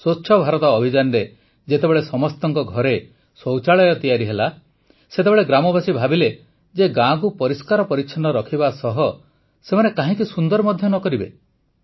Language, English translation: Odia, Under the Swachh Bharat Abhiyan, after toilets were built in everyone's homes, the villagers thought why not make the village clean as well as beautiful